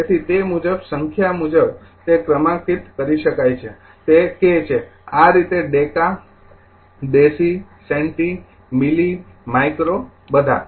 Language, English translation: Gujarati, So, accordingly number accordingly numbering you can make it right it is k so, these way your deka, desi, centi, milli, micro all